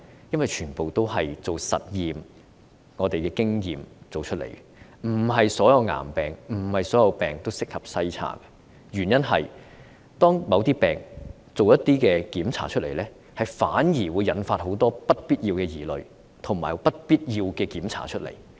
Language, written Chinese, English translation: Cantonese, 因為全賴實驗和經驗得知，不是所有疾病都適合篩查，因為就某些疾病進行檢查時，反而會引發很多不必要的疑慮及檢查。, The reason is that thanks to experiments and experience we have learned that not all diseases are suitable for screening because the screening on some diseases may unnecessarily prompted doubts and examinations